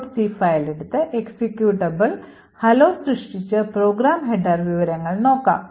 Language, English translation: Malayalam, So, let us take the hello dot C file again, create an executable hello and then read the program header information